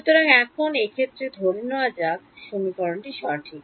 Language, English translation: Bengali, So, for now let us just assume that this equation is correct